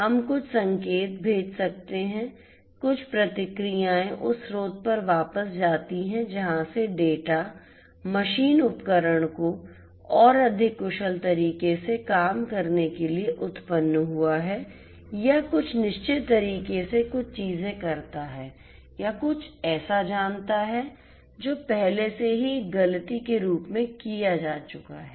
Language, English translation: Hindi, We can send some signals; some feedback signals back to the source from where the data originated to make the machine tool work in a much more efficient manner or do certain things in a certain way or you know correct something that has already been done as a mistake